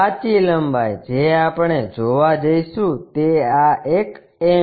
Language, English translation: Gujarati, The true length what we might be going to see is this one m